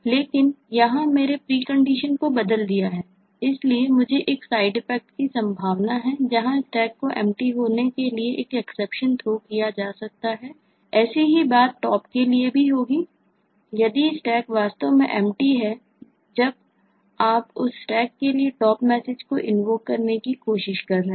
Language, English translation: Hindi, but here i have changed the precondition and therefore i have a possibility of a side effect where an exception will be thrown for the stack being empty